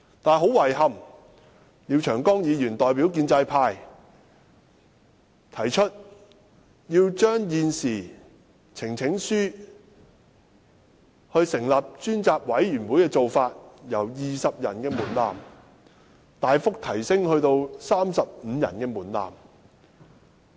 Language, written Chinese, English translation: Cantonese, 但是，很遺憾，廖長江議員代表建制派，提出要將現時通過提交呈請書成立專責委員會的做法，門檻由20人支持大幅提升至35人。, But to our disappointment Mr Martin LIAO on behalf of the pro - establishment camp proposes changes to the practice of presenting a petition for forming a select committee raising the threshold substantially from 20 Members rising in support to 35 Members